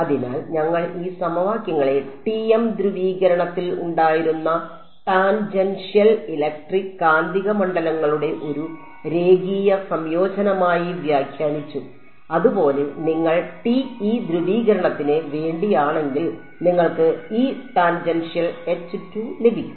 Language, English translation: Malayalam, So, we have interpreted these equations as sort of a linear combination of the tangential electric and magnetic fields this was in TM polarization; similarly, if you for TE polarization you would get E tangential and Hz